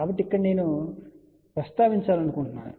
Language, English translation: Telugu, So, here I just want to mention you here